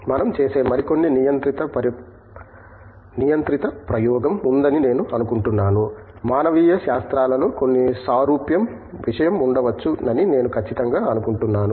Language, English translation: Telugu, There may be I think there is some much more controlled experiment that we do, I am sure some analogues thing may be there in humanities